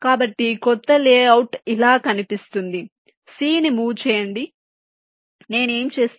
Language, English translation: Telugu, so new layout looks like this: move c, move c, what i do